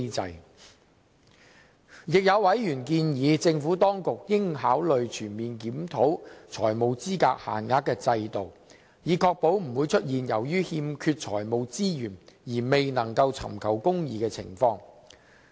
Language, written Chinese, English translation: Cantonese, 此外，有委員建議政府當局應考慮全面檢討財務資格限額制度，以確保不會出現由於欠缺財務資源而未能尋求公義的情況。, Moreover some Members suggest that the Administration should consider conducting a comprehensive review of the financial eligibility limit system to ensure that lack of financial resources will not impede access to justice